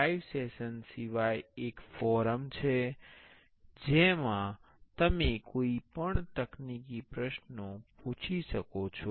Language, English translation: Gujarati, Apart from living sessions, there are there is a forum in which you can ask any technical questions all right